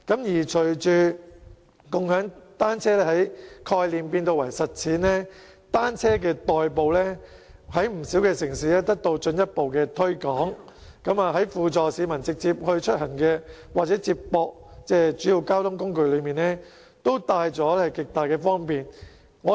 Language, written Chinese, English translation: Cantonese, 隨着共享單車由概念轉化成實踐，以單車代步在不少城市裏得到進一步的推廣，在輔助市民直接出行或接駁主要交通工具方面，單車都帶來極大方便。, With the transformation of bike - sharing from a mere concept into an actual practice we can notice further promotion of bicycles as an alternative mode of transport in many cities . Whether as a direct travelling aid for people or as a form of feeder transport for connection to major modes of transport bicycles bring huge convenience